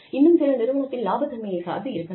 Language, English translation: Tamil, And, some on the profitability of the organization